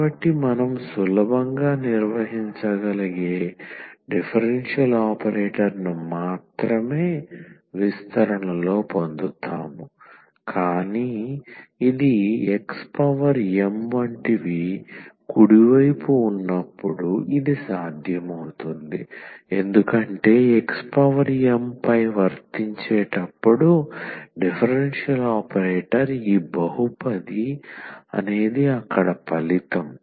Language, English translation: Telugu, So, we will get in the expansion only the differential operator which we can handle easily, but this is easy this is possible when we have the right hand side like x power m, because the differential operator when we apply on x power m this polynomial kind of result there